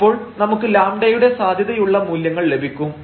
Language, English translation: Malayalam, So, we will get possible values of lambda